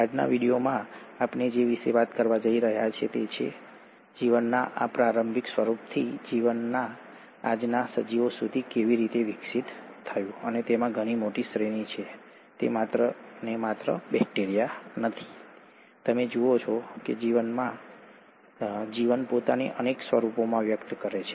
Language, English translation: Gujarati, In today’s video, what we’re going to talk about is that how from this early form of life, the life evolved to the present day organisms and there’s a huge array of them; it’s not just one just bacteria, you see that the life expresses itself in multiple forms